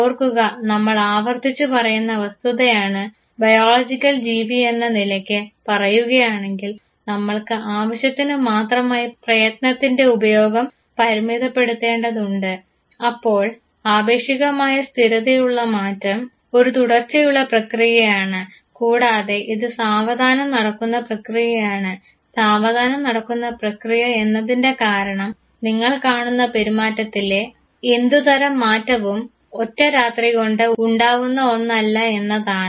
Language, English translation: Malayalam, Remember, we are repetitively saying this fact that as biological creature we have to basically economize our effort, so a relatively permanent change, a continuous process and also its gradual process gradual process because any change that you see in the behavior will not come overnight